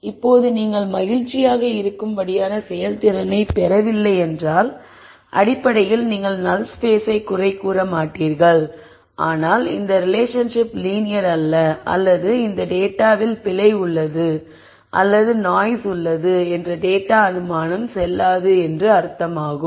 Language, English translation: Tamil, Now if you are not getting a performance that you are happy with then you basically do not blame the null space concept, but you say maybe the problem is that these relationships are not linear or if you assume that there is no error or noise in the data maybe that assumption is not valid